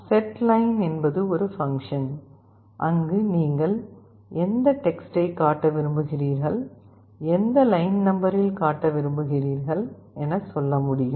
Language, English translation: Tamil, And setLine is a function, where you can tell what text you want to display and in which line number